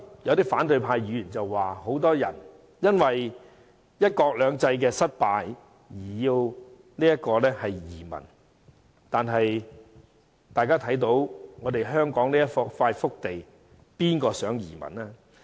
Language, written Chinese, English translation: Cantonese, 有反對派議員剛才說很多人因為"一國兩制"失敗而移民，但大家看到香港這塊福地，誰會想移民呢？, Just now some opposition Members said that many people choose to emigrate because one country two systems has failed . But as we can see Hong Kong is a blessed place . Who would want to emigrate to other places?